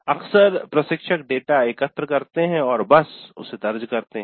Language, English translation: Hindi, Often the instructors collect the data and simply file it